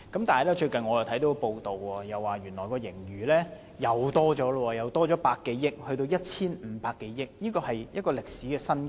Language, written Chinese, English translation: Cantonese, 但是，我最近看到一則報道，發現原來盈餘進一步增加百多億元，現為 1,500 多億元，是歷史新高。, However I have recently read a news report and learnt that the surplus has further increased by 10 - odd billion now standing at a record high of around 150 billion